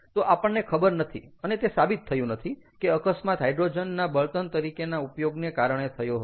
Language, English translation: Gujarati, so it it is not conclusively proven that the accident happen due to hide use of hydrogen as fuel